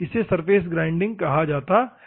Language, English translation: Hindi, This is called surface grinding